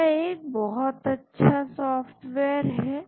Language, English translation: Hindi, This is a very nice software